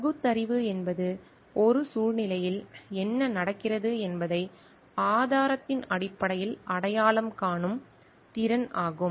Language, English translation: Tamil, Reasoning is the ability to recognise what is happening in a situation on the basis of evidence